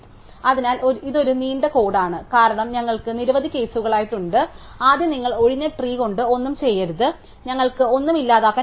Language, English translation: Malayalam, So, it is a long piece of code, because we have been many cases, so first of all you with empty tree we do not nothing to we cannot delete